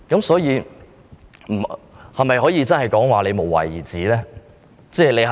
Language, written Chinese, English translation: Cantonese, 所以，我可否說局長真的是無為而治呢？, Therefore can I say that the Secretary has adopted a kind of laissez - faire governance?